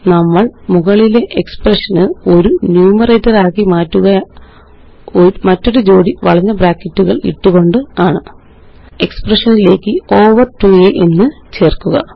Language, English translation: Malayalam, We will make the above expression a numerator by adding another set of curly brackets And Add over 2a to the expression